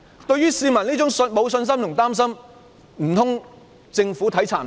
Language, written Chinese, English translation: Cantonese, 對於市民沒有信心和擔心，難道政府未能體察嗎？, Could the Government not appreciate the lack of confidence among the public and their concerns?